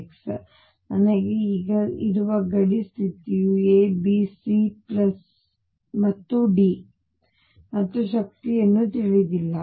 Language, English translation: Kannada, Now, the boundary condition I have now unknowns A B C and D and the energy itself